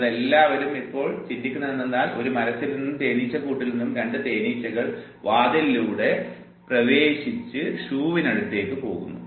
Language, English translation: Malayalam, And all you are now visualizing it that from a tree, two bees from the hives they are entering through the door and then going to the shoe